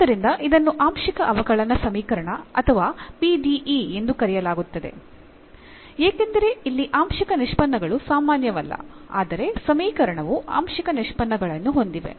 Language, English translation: Kannada, And therefore, this is called the partial differential equation or PDE, because here we the partial derivatives not the ordinary, but we have the partial derivatives, now in the equation